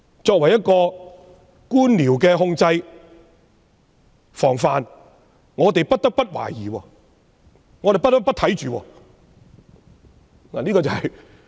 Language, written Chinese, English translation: Cantonese, 作為一個官僚的控制防範，我們不得不懷疑，我們不得不看緊。, As a preventive and control measure we have the obligation to suspect and keep a close watch on bureaucrats